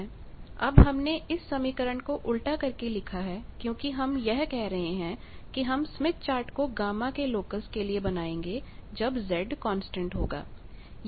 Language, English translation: Hindi, Now we are inverting this because we are saying that we will make smith chart is plot of or locus of gamma when constant Z